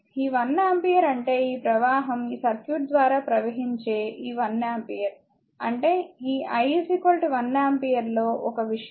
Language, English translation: Telugu, This one ampere means this current is flow this one ampere flowing through this circuit, I mean, just let me make it one thing for you these i is equal to 1 ampere